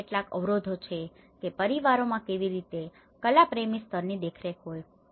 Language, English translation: Gujarati, There is some constraints how the families have a very amateur level of supervision